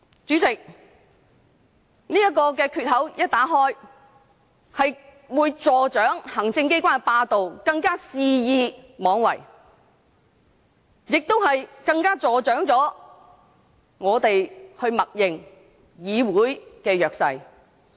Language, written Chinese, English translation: Cantonese, 主席，這個缺口一旦打開，便會助長行政機關的霸道，行政機關會更肆意妄為，也會助長我們默認的議會弱勢。, Chairman once the gap is cracked executive hegemony will intensify . The executive authorities will act more wilfully and the weakness of this Council which we tacitly admitted will be aggravated